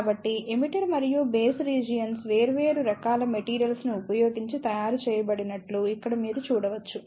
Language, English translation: Telugu, So, here you can see that the emitter and base regions are made using different type of materials